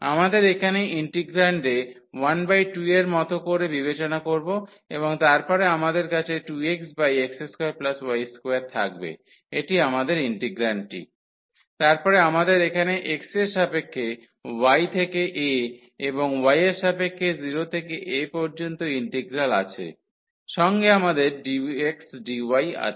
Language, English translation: Bengali, We should consider here like 1 by 2 in the integrand and then we have 2 x over this x square plus y square this is our integrand; and then we have the integral here with respect to x from y to a and with respect to y from 0 to a we have dx dy